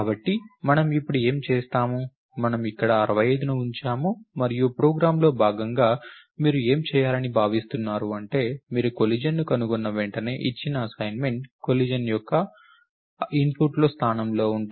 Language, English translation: Telugu, So, what do we do now, we put 65 here and what you are expected to do as part of the program is that the assignment that is given says as soon as you find a collision, if the position in the input where the collision is occur